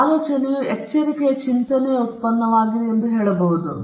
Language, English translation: Kannada, We could also say that an idea is a product of a careful thinking